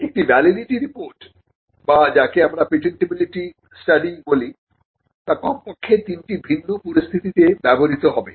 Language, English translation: Bengali, Now, a validity report or what we call a patentability study would be used in at least 3 different situations